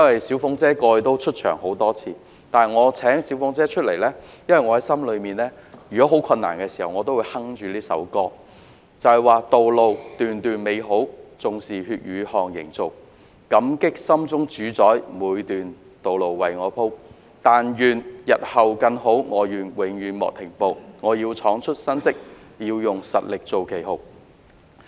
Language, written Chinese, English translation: Cantonese, "小鳳姐"過往已曾出場多次，但我請她出來，是因為我在很困難的時候，心裏都會哼着以下這一闕歌："道路段段美好，縱是血與汗營造，感激心中主宰每段道路為我鋪，但願日後更好，我願永遠莫停步，我要創出新績，要用實力做旗號"。, Lyrics of songs by Paula TSUI have been cited many times previously but this song which popped up in my mind during the days of adversity has touched my heart with lines of encouraging lyrics which go Every road taken leads to a bright future though made of blood and sweat and be thankful to the master at heart for paving the way for me; With the hope for a better tomorrow embark on a never - ending journey to accomplish new achievements and to lead with strength